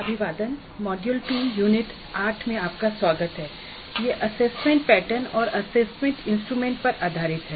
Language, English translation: Hindi, Greetings, welcome to module 2, Unit 8 on assessment patterns and assessment instruments